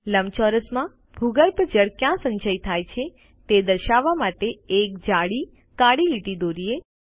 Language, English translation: Gujarati, In the rectangle, lets draw a thick black line to show where the ground water accumulates